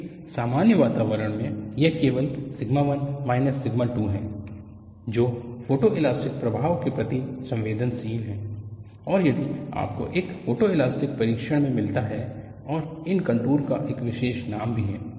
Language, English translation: Hindi, In a generic environment, it is only sigma 1 minus sigma 2 is sensitive to photoelastic effect and that is what you get in a photoelastic test, and these contours also have a special name